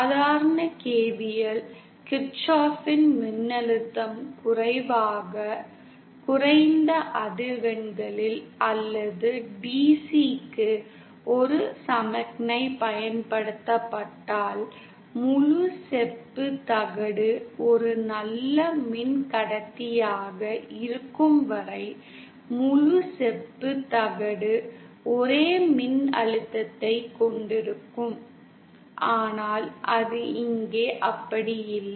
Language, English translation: Tamil, And we know that from normal KVL, KirchoffÕs voltage low, at low frequencies or DC if a signal is applied, then the entire copperplate as long as it is a good conductor, entire copperplate will have the same voltage but that is not the case here because here the wavelength of the signal is comparable to the dimensions of the plate